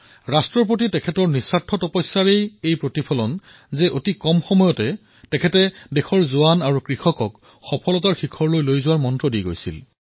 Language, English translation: Assamese, It was the result of his selfless service to the nation that in a brief tenure of about one and a half years he gave to our jawans and farmers the mantra to reach the pinnacle of success